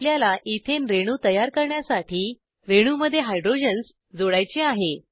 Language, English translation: Marathi, We have to add hydrogens to this molecule to create an ethane molecule